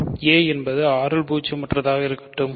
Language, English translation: Tamil, Let a be in R a non zero